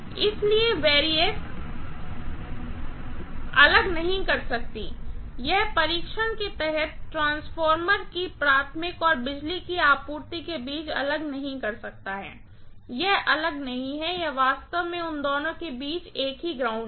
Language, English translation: Hindi, So, variac cannot isolate, it cannot isolate between the primary of the transformer under test and the power supply, it is not isolating, it is actually the same earth between both of them, okay